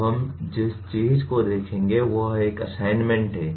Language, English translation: Hindi, Now, what we will look at is an assignment